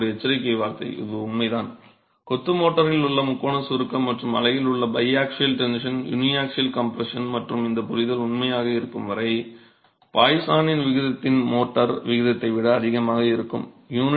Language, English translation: Tamil, However, a word of caution, this is true, this understanding of triaxial compression in the masonry mortar and the biaxial tension and uniaxial compression in the unit is true as long as the poisons ratio of the motor higher than the poisons ratio of the unit, meaning this unit is more compressible than the motor